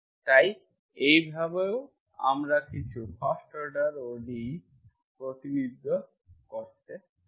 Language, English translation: Bengali, So this way also we can represent some first order ODE